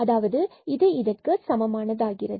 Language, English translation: Tamil, And then F y is equal to 0